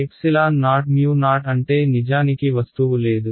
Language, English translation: Telugu, That means there is actually no object